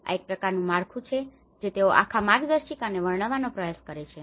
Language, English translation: Gujarati, This is a kind of framework which they try to describe the whole guide